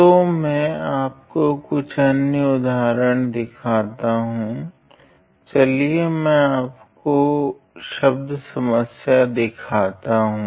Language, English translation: Hindi, Let me show you some other examples specially; let me show you some word problems